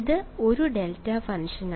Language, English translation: Malayalam, It is a delta function